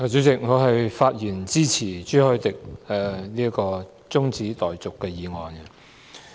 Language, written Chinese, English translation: Cantonese, 主席，我發言支持朱凱廸議員提出的中止待續議案。, President I rise to speak in support of the adjournment motion moved by Mr CHU Hoi - dick